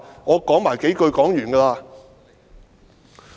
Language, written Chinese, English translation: Cantonese, 我多說幾句便會停。, I will stop after saying a few more words